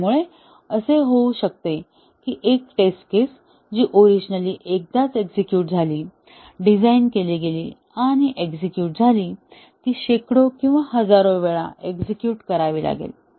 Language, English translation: Marathi, So, it may so happen that, a test case which was originally executed once, designed and executed, may have to be executed hundreds or thousands of times